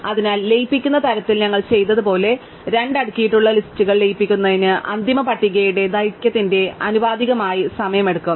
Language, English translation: Malayalam, So, merging two sorted lists as we did in merge sort, takes time proportional to the length of the final list